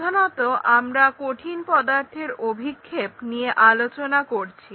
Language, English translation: Bengali, Mainly, we are looking at Projection of Solids